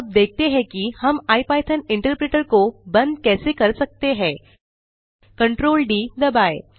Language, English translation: Hindi, Now, lets see how we can quit the ipython interpreter, press Ctrl D